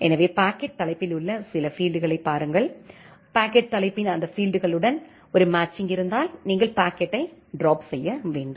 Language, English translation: Tamil, So, look into certain fields in the packet header, if there is a match with those fields of the packet header then you drop the packet